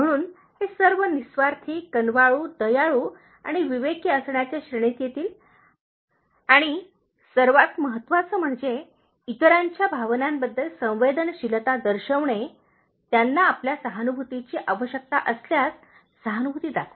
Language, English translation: Marathi, So, all these will come under this category of being selfless, compassionate, kind and considerate and the most important of all is, showing sensitivity to other’s feelings, sympathizing with them in case they need your sympathy